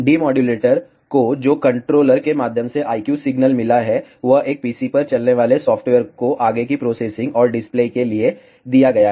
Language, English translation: Hindi, The signal that has been received by the I Q demodulator through the controller is given to a software running on a PC for further processing and display